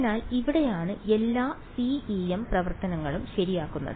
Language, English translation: Malayalam, So, this is where all the CEM actions happen ok